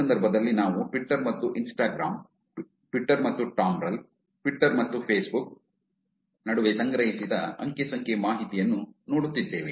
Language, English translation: Kannada, In this case we are looking at data collected between Twitter and Instagram, Twitter and Tumblr, Twitter and Facebook